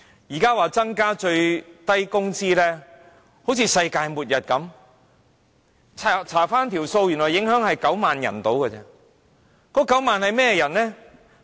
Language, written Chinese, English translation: Cantonese, 現在說增加最低工資就像世界末日般，翻查數字原來只影響大約9萬人。, Now that an increase in the minimum wage is said to be like leading us to the doomsday . If we look up the figures we will see that only about 90 000 people are affected